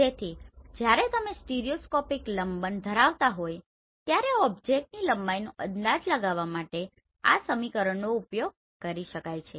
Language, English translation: Gujarati, So this equation can be used to estimate the object height when you are having stereoscopic parallax